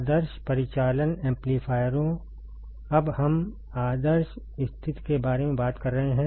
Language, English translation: Hindi, Ideal operational amplifiers we are talking about now ideal situation ok